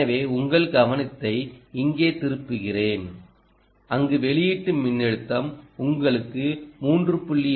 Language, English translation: Tamil, ok, so let me turn my attention to you here where the output voltage which should give you three point two, can you see this